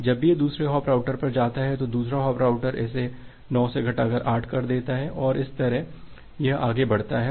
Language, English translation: Hindi, Whenever it goes to the second hop router the second hop router reduces it from 9 to 8 and that way it goes on